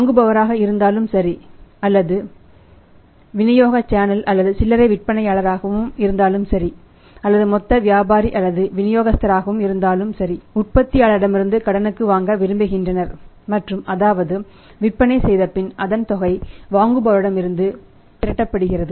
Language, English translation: Tamil, Whether it is buyer or whether it is a channel of distribution maybe the retailer or the whole sale or the distributor wants the goods from the manufacturer on credit and that was that a sales are made and the amount is collected from the buyer's